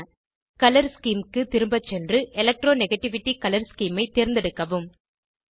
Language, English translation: Tamil, Go back to Color Scheme, select Electronegativity color scheme